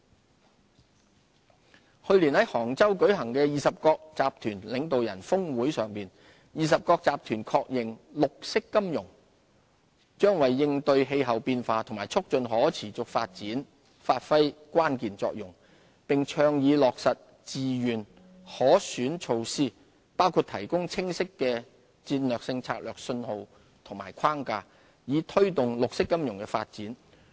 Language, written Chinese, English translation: Cantonese, 綠色金融去年在杭州舉行的二十國集團領導人峰會上，二十國集團確認綠色金融將為應對氣候變化及促進可持續發展發揮關鍵作用，並倡議落實自願可選措施，包括提供清晰的戰略性政策信號與框架，以推動綠色金融發展。, At the Group of Twenty G20 Summit held in Hangzhou last year G20 recognized that green finance is critical to addressing climate change and fostering sustainable development . The summit advocated the implementation of the voluntary options including the provision of clear strategic policy signals and frameworks to promote green financial business